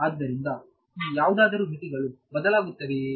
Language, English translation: Kannada, So, will any of these limits change